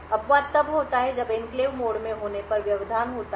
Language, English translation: Hindi, The exception occurs when there is interrupt that occurs when in enclave mode